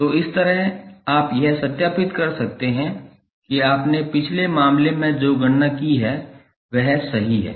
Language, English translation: Hindi, So, in this way you can cross verify that whatever you have calculated in previous case is correct